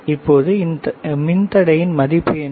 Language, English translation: Tamil, So, what is the value of this one